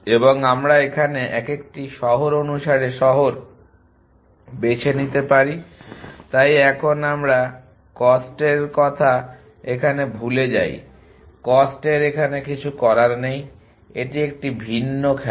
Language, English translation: Bengali, And we get to choose city by city so forget of the cost to a cost nothing to do here this is the different game